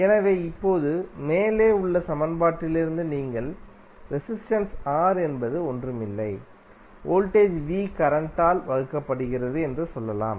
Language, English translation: Tamil, So, now from the above equation you can simply say that resistance R is nothing but, voltage V divided by current